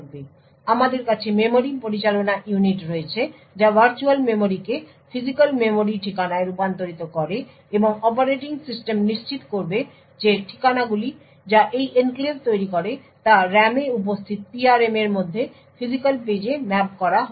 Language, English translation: Bengali, So, we have the memory management unit which converts the virtual memory to the physical memory address and the operating system would ensure that addresses form this enclave gets mapped to physical pages within the PRM present in the RAM